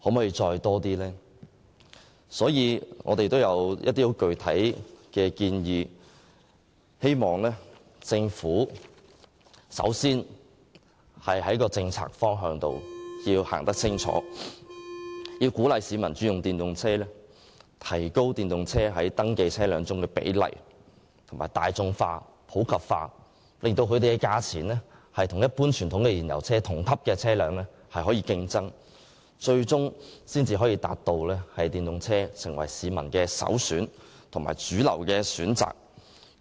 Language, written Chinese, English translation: Cantonese, 有見及此，我們提出了一些具體建議，希望政府首先訂定清晰的政策方向，鼓勵市民改用電動車，藉此提高電動車在登記車輛中所佔的比例，使電動車大眾化及普及化，讓電動車的售價可以與同級的一般傳統燃油車競爭，這樣最終才可以達到將電動車成為市民首選及主流選擇。, For these reasons we have raised some specific proposals hoping that the Government can lay down a clear policy direction as the first step to encourage people to switch to EVs so as to increase the proportion of EVs in registered vehicles promote the general and popular use of EVs and in turn make EVs price competitive with the same - class conventional fuel - engined vehicles . This is the only way to turn EVs into the first and mainstream option among people in the end